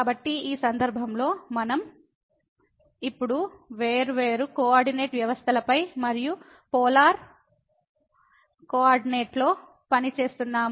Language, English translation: Telugu, So, in this case we are will be now working on different coordinate system and in polar coordinate